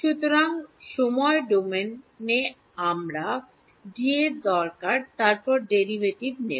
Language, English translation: Bengali, So, I need D in the time domain then into take a derivative